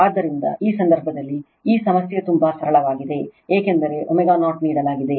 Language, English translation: Kannada, So, in this case this problem is very simple, because omega 0 is given